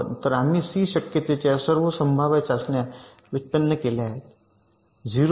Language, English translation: Marathi, so we have generated all possible tests that can detect c struck at zero